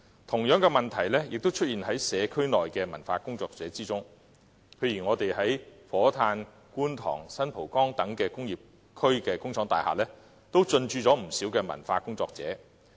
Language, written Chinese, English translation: Cantonese, 同樣的問題亦出現於社區的文化工作者身上，譬如在火炭、觀塘和新蒲崗等工業區的工廠大廈，都進駐不少文化工作者。, Cultural workers in the communities experience the same problem . For example a number of cultural workers have moved into factory buildings in industrial areas in Fo Tan Kwun Tong and San Po Kong